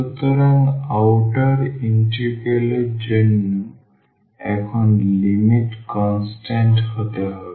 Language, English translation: Bengali, So, for the outer integral now the limits must be constant